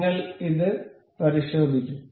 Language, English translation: Malayalam, We will check with this